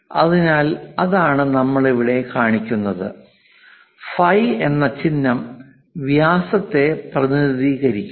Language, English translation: Malayalam, So, that is the thing what we are showing here, the symbol phi represents diameter